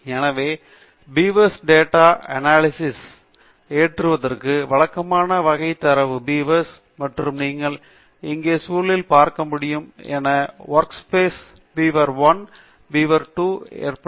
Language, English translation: Tamil, So, to load the Beavers data set, as usual type data beavers, and as you can see in the environment here, the work space beaver1 and beaver2 have been loaded